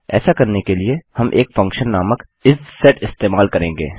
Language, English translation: Hindi, To do so, we will use a function called isset